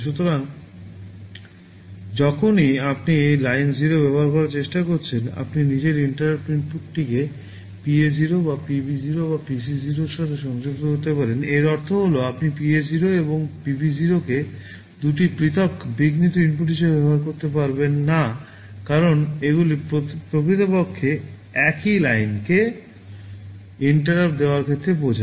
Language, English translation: Bengali, So, whenever when you are trying to use Line0, you can connect your interrupt input to either PA0 or PB0 or PC0; this also means you cannot use PA0 and PB0 as two separate interrupt inputs because they actually mean the same line with respect to interrupt